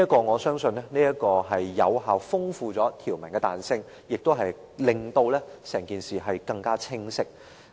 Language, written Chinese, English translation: Cantonese, 我相信這做法有效豐富條文的彈性，亦令整件事更清晰。, In my opinion this will provide further flexibility to the provision and bring clarity to the matter